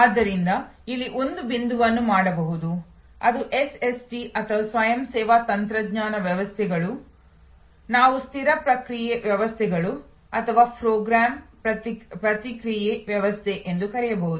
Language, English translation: Kannada, So, a point can be made here that is SST or Self Service Technology systems can be what we call fixed response systems or program response system